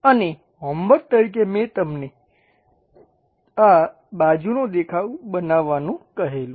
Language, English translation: Gujarati, And as a homework problem we asked you to construct this side view